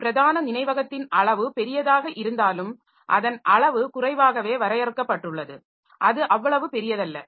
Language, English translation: Tamil, So, main memory is limited in size though it is large, it is large but it is not that large